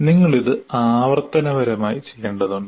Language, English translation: Malayalam, You have to iteratively do this